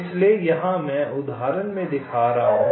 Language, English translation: Hindi, now this is just an example